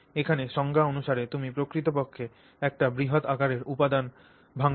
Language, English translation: Bengali, By definition here you are actually breaking down a large scale material